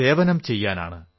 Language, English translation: Malayalam, But to serve'